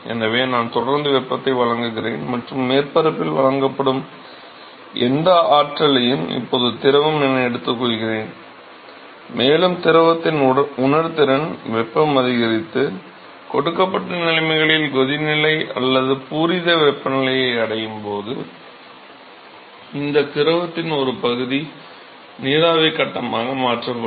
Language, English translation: Tamil, So, I keep giving supplying heat and whatever energy that is supplied to the surface is now taken up by the fluid, and the fluid’s sensible heat is going to increase and moment it reaches the boiling point or the saturation temperature, at the given conditions, some fraction of this fluid is going to get converted into vapor phase